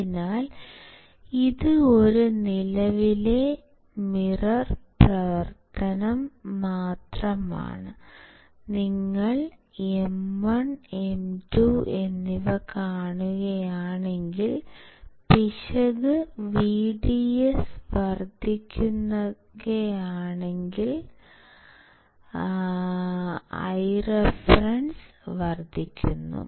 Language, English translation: Malayalam, So, this is just a current mirror action, if you see M 1 and M 2 , if error increases my VDS my I reference increases